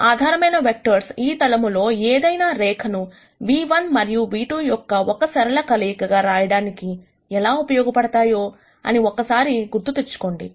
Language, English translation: Telugu, Just to recap what this basis vectors are useful for is that, any line on this plane, basically can be written as a linear combination of nu 1 and nu 2